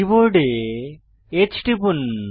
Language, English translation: Bengali, Press H on the keyboard